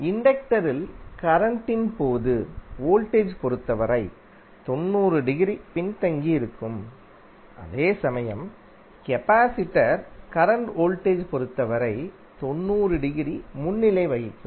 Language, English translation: Tamil, In case of inductor current will be lagging with respect to voltage by 90 degree, while in case of capacitor current would be leading by 90 degree with respect to voltage